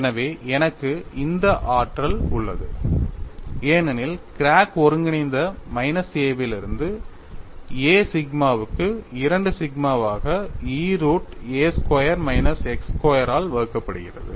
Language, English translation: Tamil, From the COD development, we know the v displacement is nothing but 2 sigma divided by E root of a squared minus x square